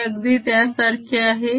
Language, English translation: Marathi, this is very similar